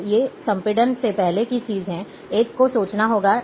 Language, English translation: Hindi, So, these are the things before compression, one has to think